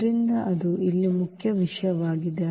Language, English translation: Kannada, So, that is the point here